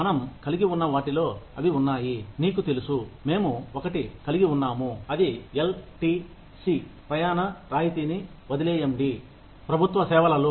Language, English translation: Telugu, They include what we have, you know, we have something known as LTC, leave travel concession, in government services